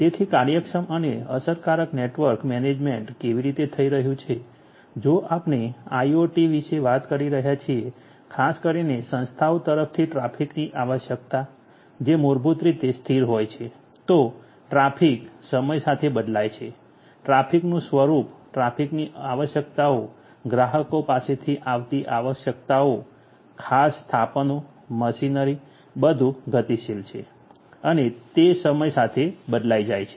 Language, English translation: Gujarati, So, efficient and effective network management how it is going to be done, if we are talking about IIoT specifically the nature of traffic the requirements from the organizations these basically are non static, these basically change with time the traffic, the nature of traffic, the requirements of the traffic, the requirements from the clients, the specific installations the machinery everything is dynamic they change with time